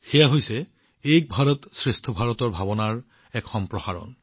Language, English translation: Assamese, This is the extension of the spirit of 'Ek BharatShreshtha Bharat'